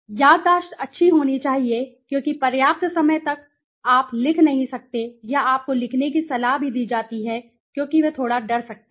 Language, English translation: Hindi, Memory has to be good because enough all the time you might not able to write or you are even advised to write because they might become little scared